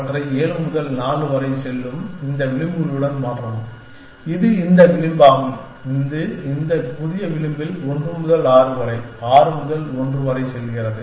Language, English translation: Tamil, And replace them with this edges, which goes from 7 to 4, which is this edge and which goes from 1 to 6, 6 to 1 in this new edge